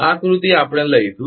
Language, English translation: Gujarati, This diagram we will take